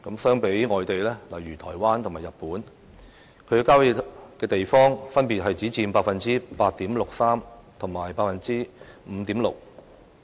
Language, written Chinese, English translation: Cantonese, 相比外地，例如台灣和日本，郊野地方分別只佔 8.63% 和 5.6%。, In comparison country parks in overseas places such as Taiwan and Japan merely account for 8.63 % and 5.6 % of their respective total land areas